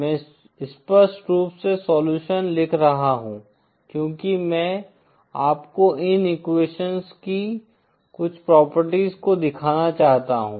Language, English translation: Hindi, The reason I am writing explicitly the solutions is because I want to show you some of the properties of these equations